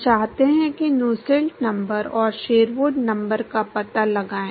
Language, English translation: Hindi, All we want is we want is find the Nusselt number and Sherwood number